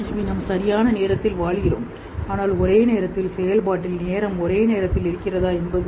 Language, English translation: Tamil, So we live in time but whether time is existing all at the same time in a simultaneous operation